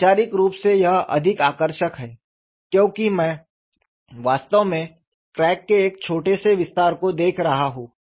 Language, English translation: Hindi, Conceptually this is more appealing, because I am really looking at a small extension of the crack